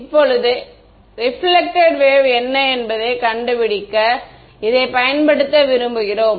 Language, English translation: Tamil, Now, we want to use this to find out, what is the reflected field